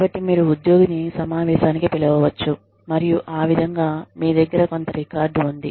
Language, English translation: Telugu, So, you may call for a meeting, with the employee, and just, so that way, there is some record